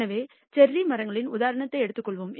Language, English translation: Tamil, So, let us take this example of the cherry trees